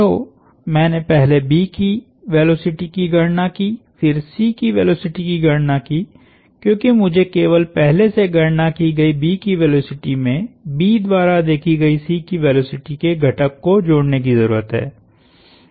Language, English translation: Hindi, So, I first computed the velocity of B, then computed the velocity of C, because I only need to add the component of velocity of C as observed by B to the already computed velocity of B